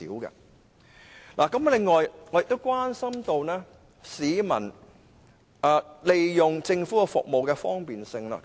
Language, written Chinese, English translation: Cantonese, 此外，我亦關注市民使用政府服務的方便程度。, Moreover I am also concerned about the convenience of government services for peoples use